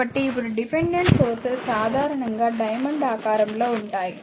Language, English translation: Telugu, So, now dependent sources are usually these dependent sources are usually a diamond shape